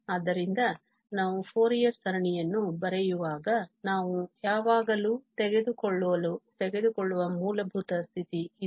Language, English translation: Kannada, So, this is the basic condition we take always whenever we write the Fourier series